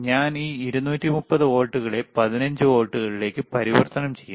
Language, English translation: Malayalam, And I am converting this 230 volts to 15 volts or 15 16 volts